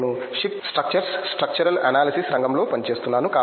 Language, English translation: Telugu, And I am working in the field of Ship Structures, structural analysis